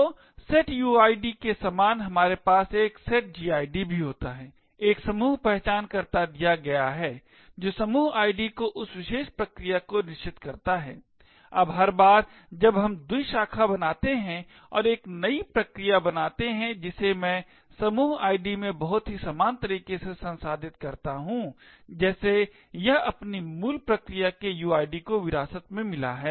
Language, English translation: Hindi, So similar to the setuid we also have a setgid, given a group identifier which sets the group id that particular process, now every time we fork and create a new process, which I will process would in the group id in a very similar way as it inherits the uid of its parent process